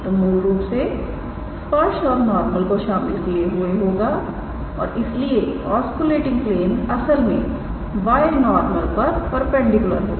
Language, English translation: Hindi, So, basically it will contain both tangent and normal and so osculating plane is actually perpendicular to the binormal yes